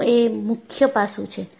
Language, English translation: Gujarati, That is the key aspect